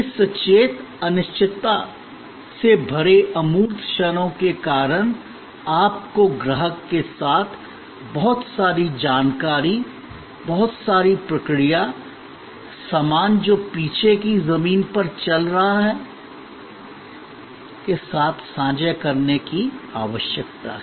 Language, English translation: Hindi, Because of this conscious uncertainty filled intangible moments, you need to share with the customer, a lot of information, lot of process, the stuff that are going on in the back ground